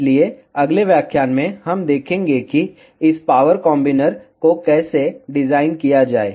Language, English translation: Hindi, So, in the next lecture, we will see how to design this power combiner